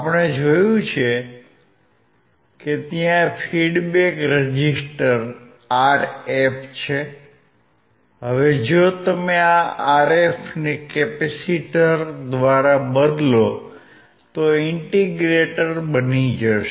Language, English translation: Gujarati, We have seen that there is a feedback resistor Rf; Now, if you replace this Rf by a capacitor it becomes your integrator